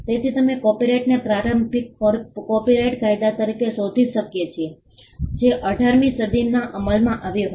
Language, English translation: Gujarati, So, we find the copyright the initial copyright law that came into being in the 18th century